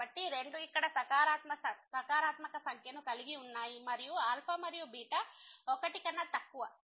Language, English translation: Telugu, So, both have the positive number here alpha and beta and less than 1